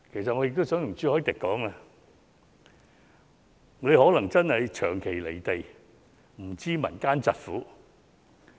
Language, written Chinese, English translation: Cantonese, 朱議員可能長期"離地"，他真的不知民間疾苦。, Mr CHU may have been out of touch with the reality for too long so that he knows little about the peoples suffering